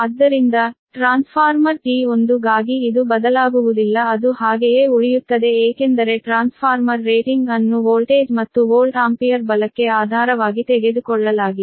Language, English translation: Kannada, so for transformer t one, this will not change, it will remain as it is because transformer rating itself has been taken as a base, that voltage as well as your volt ampere, right